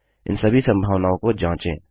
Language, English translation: Hindi, Explore all these possibilities